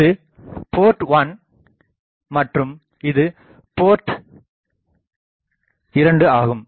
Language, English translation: Tamil, This is my port 1, this is my port 2